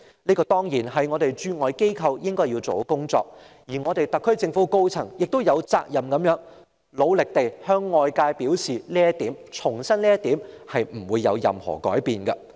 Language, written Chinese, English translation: Cantonese, 這當然是本港駐外機構應做的工作，而特區政府的高層亦有責任努力地向外界重申這方面是不會改變的。, Of course this is the duties of overseas Hong Kong offices . Yet the senior echelon of the SAR Government is obliged to make a vigorous effort to reiterate to overseas countries that this will remain unchanged